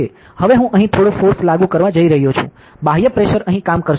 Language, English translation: Gujarati, Now I am going to apply some force here, an external pressure will be acting over here ok